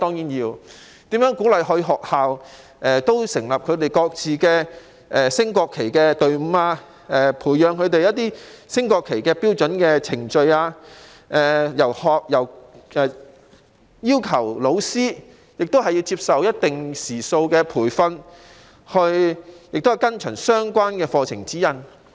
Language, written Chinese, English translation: Cantonese, 所以，當局須鼓勵學校成立本身的升國旗隊伍，培養隊員對升掛國旗標準程序的認識，亦須要求老師接受一定時數的培訓，依循相關課程指引。, Hence schools should be encouraged to set up their own national flag raising teams educate team members on knowledge about the standard procedures for raising the national flag and require teachers to receive a certain number of hours of training and follow the relevant curriculum guides in this respect